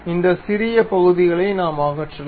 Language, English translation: Tamil, And we can remove this one these tiny portions